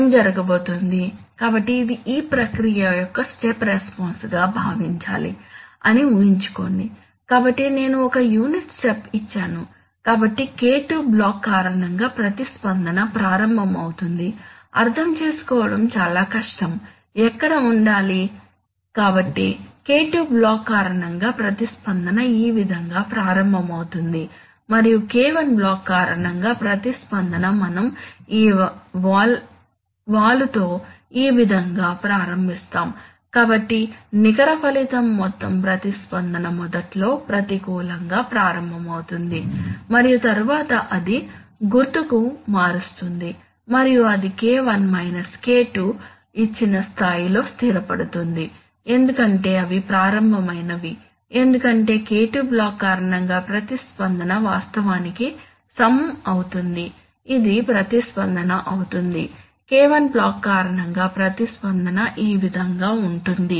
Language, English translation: Telugu, What is going to happen, so imagine that let us consider this is the step response of that process, so I have given a unit step, so the response due to the K2 block will start, it is very difficult to understand, where to put it, so the response due to K2 block will start along this way and the response due to the K1 block we will start along this way with this slope, so the net result will be that the overall response will initially start going negative and then it will change sign and then it will settle at a level which is given by K1 K2 because those are the initial, because the response due to the K2 block will actually level, this will be the response, while the response due to the K1 block is going to be like this